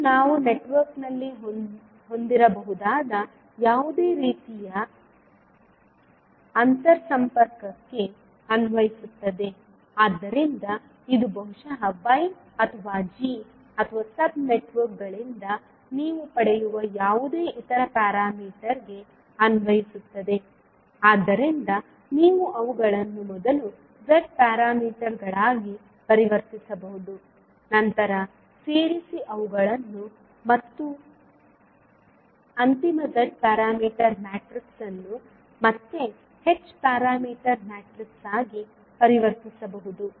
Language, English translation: Kannada, So this is applicable for any type of interconnection which we may have in the network, so the same is for maybe Y or G or any other parameter which you get from the sub networks, so you can first convert them into the Z parameters, then add them and the final Z parameter matrix can be converted back into H parameters matrix